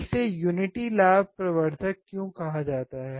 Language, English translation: Hindi, Why it is also called a unity gain amplifier